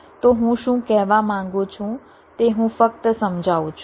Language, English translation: Gujarati, so what i mean i am just explaining